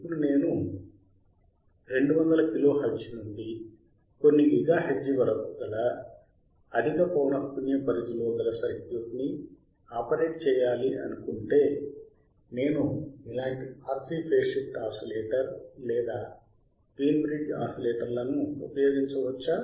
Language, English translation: Telugu, Now if I want to operate or if I want to use the circuit in a high frequency range from 200 kilo hertz to few gigahertz can I use the similar RC phase shift oscillator or Wein bridge oscillators